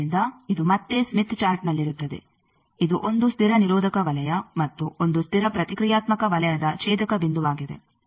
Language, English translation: Kannada, So, this will be again in the Smith Chart the intersection point of 1 constant resistant circle and 1 constant reactant circle